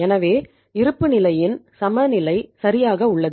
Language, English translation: Tamil, So the balance sheet is balanced right